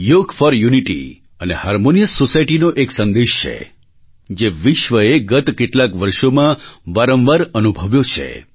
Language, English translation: Gujarati, Yoga for unity and a harmonious society conveys a message that has permeated the world over